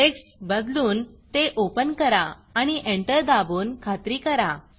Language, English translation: Marathi, Change the text to Open and press Enter to confirm